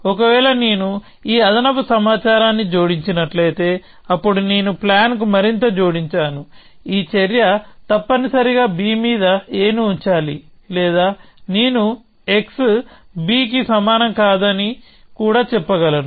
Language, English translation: Telugu, If I add this extra bit of information, then I have added something more to the plan which says that this action must put a on to b essentially or I could even say x not equal to b